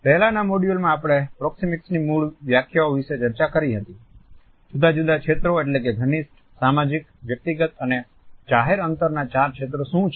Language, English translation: Gujarati, In the previous module we had discussed the basic definitions of Proxemics, what are the different zones namely the four zones of intimate social, personal and public distances